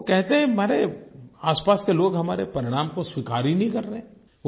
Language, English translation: Hindi, He says that the people around him just don't accept the results